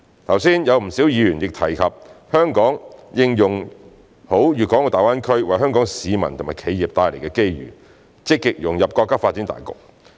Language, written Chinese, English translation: Cantonese, 剛才有不少議員亦提及香港應用好粵港澳大灣區為香港市民和企業帶來的機遇，積極融入國家發展大局。, Just now many Members advised that Hong Kong should make good use of the opportunities brought about by the Guangdong - Hong Kong - Macao Greater Bay Area GBA to Hong Kong people and enterprises and actively integrate into the overall development of China